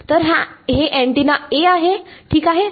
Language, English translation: Marathi, So, this is antenna A ok